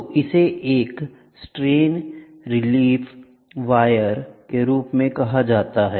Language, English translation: Hindi, So, this one is called as the strain relief wire, ok